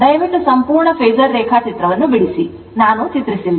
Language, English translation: Kannada, You please draw the complete phasor diagram, I have not drawn for you right